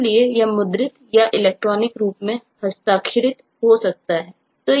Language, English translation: Hindi, so this will have to be printed or electronically signed and so on